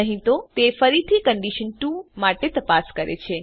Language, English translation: Gujarati, Else it again checks for condition 2